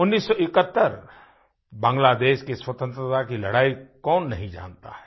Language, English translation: Hindi, Who does not know about the Bangladesh Freedom Struggle of 1971